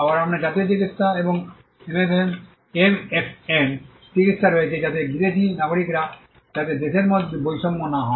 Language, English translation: Bengali, Again, you have the national treatment and the MFN treatment, so that foreign nationals are not discriminated within the country; and also foreign countries are not discriminated between each other